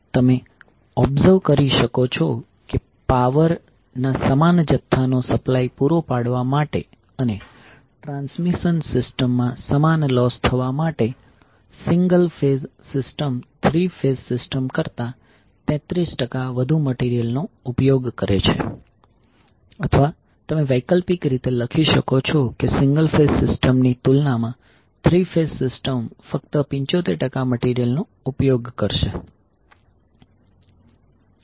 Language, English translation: Gujarati, 33 So what you can observe now, you can observe that the single phase system will use 33 percent more material than the three phase system to supply the same amount of power and to incur the same loss in the transmission system or you can write alternatively that the three phase system will use only 75 percent of the material as compared with the equivalent single phase system